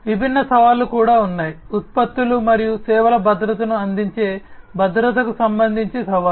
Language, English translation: Telugu, There are different challenges as well; challenges with respect to the security offering the security of the products and the services